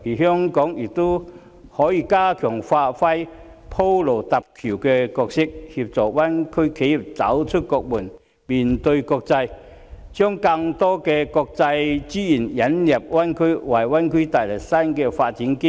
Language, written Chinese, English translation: Cantonese, 香港亦可以加強發揮鋪路搭橋的角色，協助灣區企業走出國門，面對國際，把更多國際資源引入灣區，為灣區帶來新的發展機遇。, Hong Kong can also enhance its role in acting as a bridge for enterprises in the Greater Bay Area to develop beyond the country into the international community . This will enable more international resources to be channelled into the Greater Bay Area and new opportunities for development will hence be brought into it